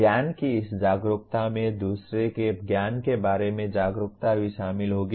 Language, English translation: Hindi, This awareness of knowledge also will include an awareness of other’s knowledge